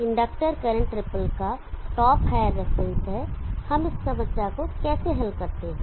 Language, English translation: Hindi, The top of the inductor current drip is the higher reference, how do we solve this problem